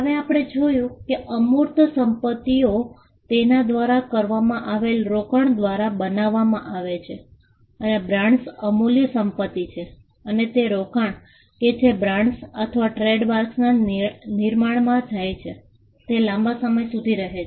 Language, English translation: Gujarati, Now, we saw that intangible assets are created by an investment into that goes into it and brands are intangible assets and the investment that goes into creation of brands or trademarks happen over a long period of time